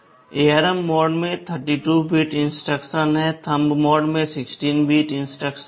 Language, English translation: Hindi, In ARM mode, there are 32 bit instructions; in Thumb mode there are 16 bit instructions